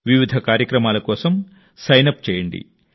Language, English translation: Telugu, in and sign up for various programs